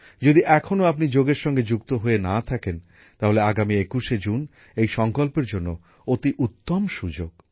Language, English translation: Bengali, If you are still not connected with yoga, then the 21st of June is a great opportunity for this resolve